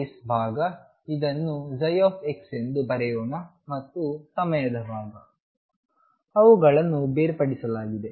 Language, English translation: Kannada, Space part, let us write this as psi x and a time part and they were separated